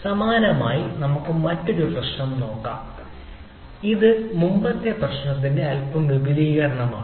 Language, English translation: Malayalam, similarly a we can we look t another problem ah, which is a little bit extension of the other, of the previous one